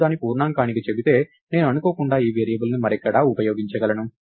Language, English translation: Telugu, If I just say its int I could accidentally use this variable somewhere else